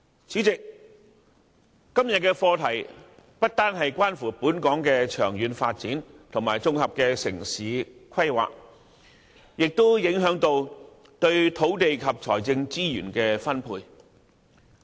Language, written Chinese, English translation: Cantonese, 今天討論的課題不單關乎本港長遠發展和綜合城市規劃，同樣影響土地及財政資源的分配。, The subject under discussion today not only relates to Hong Kongs long - term development and integrated urban planning but also affects the allocation of land and financial resources